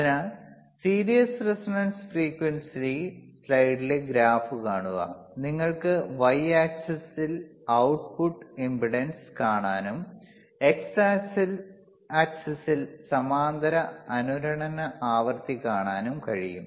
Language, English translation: Malayalam, So, in series resonance frequency, , you can see output impedance hereon y axis and you can see parallel resonance frequency on x axis